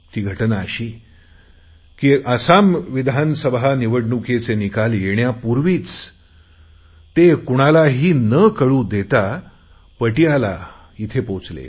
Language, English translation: Marathi, And I was very happy when I came to know that one day before the Assam election results, he discreetly reached Patiala in Punjab